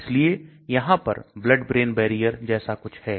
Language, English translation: Hindi, So there is something called blood brain barrier